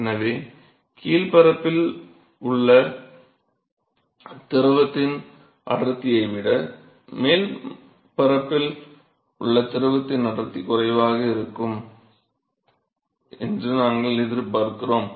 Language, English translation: Tamil, And so, we expect that the density of the fluid at the top surface is going to be lower, than the density over fluid at the bottom surface